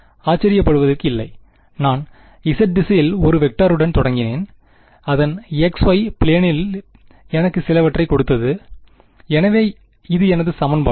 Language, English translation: Tamil, Not surprising, I started with a vector in the z direction curl of it give me something in the x y plane right, so this is my equation